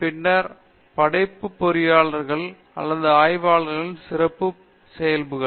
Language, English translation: Tamil, Then the traits of a creative engineer or researcher